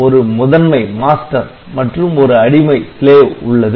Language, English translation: Tamil, So, there is a master and there is a slave ok